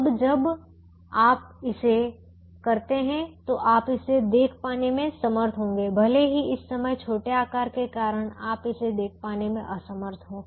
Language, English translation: Hindi, now when you actually do it, you will be able to see even though at the moment, because of the small size, you are unable to see that